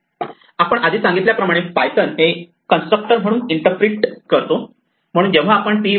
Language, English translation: Marathi, As we said before python interprets init as a constructor, so when we call a object like p equal to 0